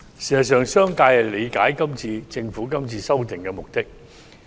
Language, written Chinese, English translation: Cantonese, 事實上，商界理解政府這次修例的目的。, In fact the business sector understands the purpose of the Governments present legislative amendment